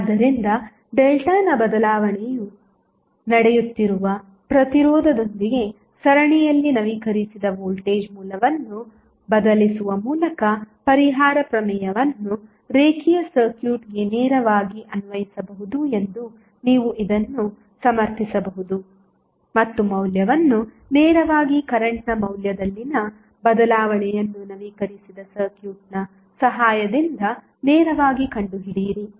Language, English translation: Kannada, So, this you can justify that the compensation theorem can be directly applied for a linear circuit by replacing updated voltage source in series with the resistance where the change of delta is happening and find out the value directly the change in the value of current directly with the help of updated circuit